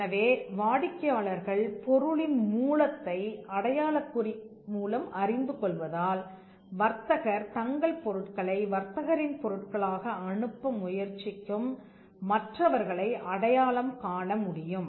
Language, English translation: Tamil, And because customers know the source of origin through the mark it was possible for the trader to identify others who would try to pass off their goods as the trader’s goods